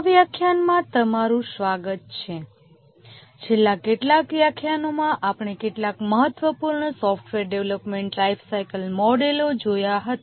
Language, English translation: Gujarati, Welcome to this lecture over the last few lectures we had looked at a few important software development lifecycle models